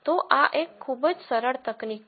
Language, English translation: Gujarati, So, this is a very very simple technique